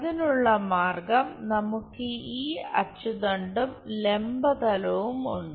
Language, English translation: Malayalam, The way is we have this axis vertical plane